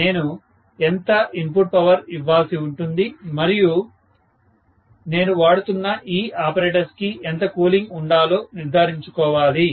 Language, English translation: Telugu, How much is the input power I have to give and how much of the cooling that I have to make sure that is available for the apparatus that I am using, right